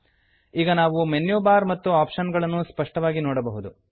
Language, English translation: Kannada, * Now, we can view the Menu bar and the options clearly